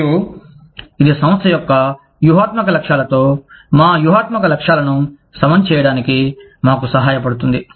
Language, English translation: Telugu, And, that helps us align our strategic goals, with the strategic goals of the organization